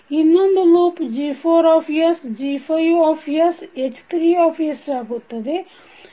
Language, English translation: Kannada, So those other 3 loops G4H2, G4G5H3, G4G6 and H3